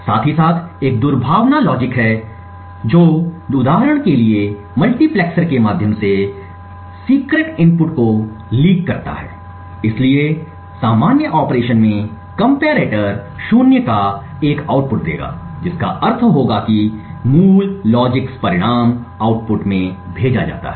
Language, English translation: Hindi, Side by side there is a malicious logic which performs for example leaks the secret input through a multiplexer so in the general operation the comparator would give an output of zero which would mean that the original logics result is sent to the output